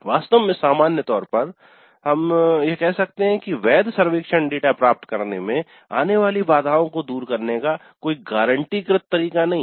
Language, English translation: Hindi, In fact, in general we can say there is no guaranteed way of overcoming the obstacles to getting valid survey data